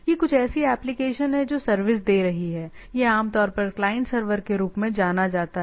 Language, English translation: Hindi, So, that is anything any such applications, which is giving service has to be this is typically known as the client server